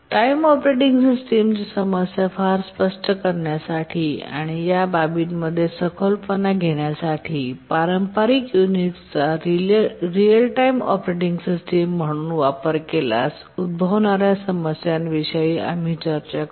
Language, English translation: Marathi, To make the issues clear and to get a deeper insight into these aspects, we will consider what problems may occur if the traditional Unix is used as a real time operating system